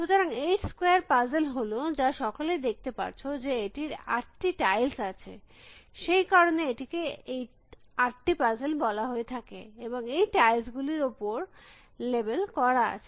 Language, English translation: Bengali, So, the 8 puzzle in particular is a puzzle any must have seen this, which is got 8 tiles that is why, it is called 8 puzzles and these tiles have labels on them